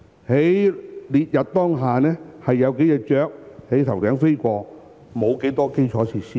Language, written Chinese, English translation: Cantonese, 在烈日當空下，有數隻雀鳥在頭頂飛過，沒有多少基建設施。, Under the burning sun there was nothing but only few birds flying above our heads . Not much infrastructure could be seen